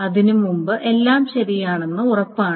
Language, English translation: Malayalam, It is sure that everything below before that is correct